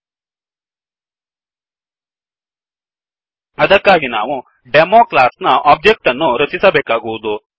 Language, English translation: Kannada, 00:09:28 00:09:21 For that we need to create the object of the class Demo